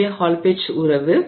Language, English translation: Tamil, And this is the Hall Petch relationship